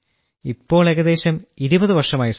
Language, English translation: Malayalam, It has been almost 20 years sir